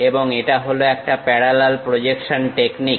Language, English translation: Bengali, And it is a parallel projection technique